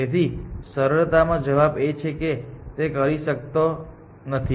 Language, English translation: Gujarati, So, so simple answer is it cannot